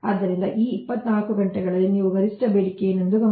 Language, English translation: Kannada, so this twenty four hours you take, note down what is the maximum demand